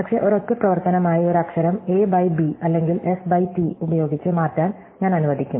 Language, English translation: Malayalam, But, I am going to allow changing one letter a by b or s by t as a single operation